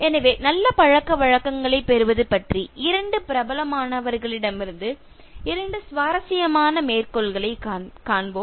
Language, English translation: Tamil, So, let us look at two interesting quotes from two eminent people about acquiring good manners